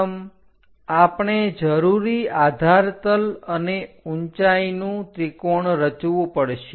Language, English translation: Gujarati, First, we have to construct a triangle of required base and height